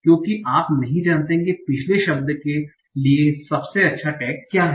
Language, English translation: Hindi, Because you do not know what is the best tag for the previous word